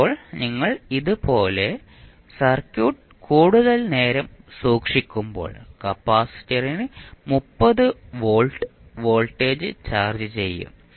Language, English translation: Malayalam, Now, when you keep the circuit like this for a longer duration, the capacitor will be charged with the voltage v which is 30 volt